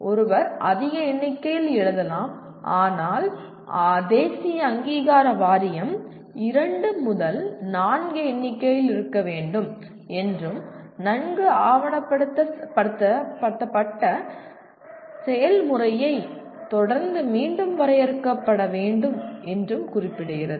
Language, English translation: Tamil, One can write large number of them, but the National Board Of Accreditation specifies there should be two to four in number and need to be defined again following a well documented process